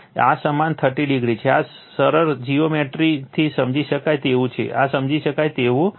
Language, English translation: Gujarati, So, this is your 30 degree this is understandable from simple geometry, this is understandable